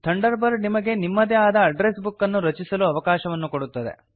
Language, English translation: Kannada, Thunderbird also allows you to create your own address book